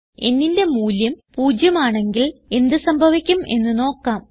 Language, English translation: Malayalam, Now let us see what happens when the value of n is 0